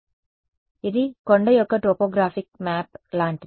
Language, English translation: Telugu, So, it's like a topographic map of a hill right